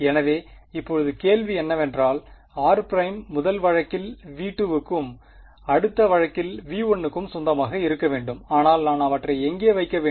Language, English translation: Tamil, So, now the question is, fine r prime must belong to V 2 in the first case and V 1 in the next case, but where exactly should I put them